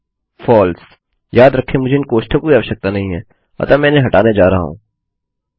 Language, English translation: Hindi, Remember I dont need these brackets so Im going to take them out